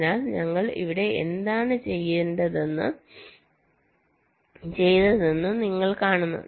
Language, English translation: Malayalam, so you see what we have done here